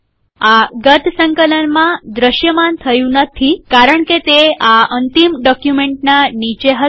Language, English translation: Gujarati, This didnt appear in the previous compilation because it was below this end document